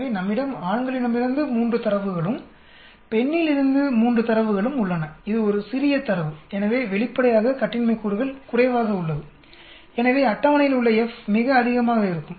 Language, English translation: Tamil, So we have 3 data from male and 3 data from female, it is a small data so obviously, the degrees of freedom is less, so the F from the table will be very high